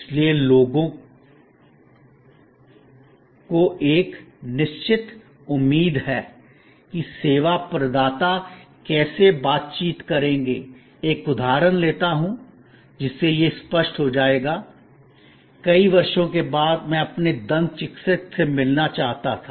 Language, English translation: Hindi, So, people have a certain expectation that how the service providers will interact, it will become clearer if I just take an example, which happen to be in last week, after many years I wanted to visit my dentist